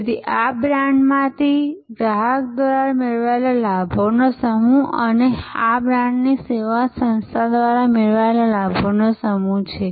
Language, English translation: Gujarati, So, these are the set of advantages derived by the customer from the brand and these are the set of advantages derived by the service organization from the brand